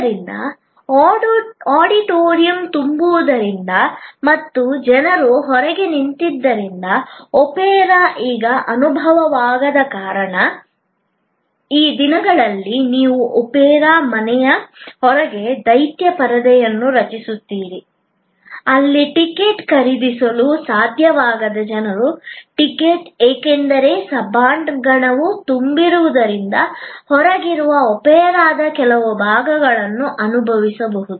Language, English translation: Kannada, So, the opportunity that is lost by because auditorium is full and the opera cannot be experience now by the people's standing outside often these days you create a giant screen outside the opera house, where people who could not buy a ticket, could not get a ticket, because the auditorium is full can still experience at least some part of the opera outside